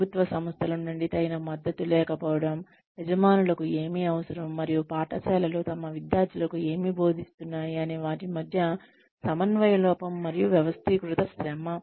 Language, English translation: Telugu, Lack of adequate support from government agencies, lack of coordination between, what employers need, and what schools teach their students, and organized labor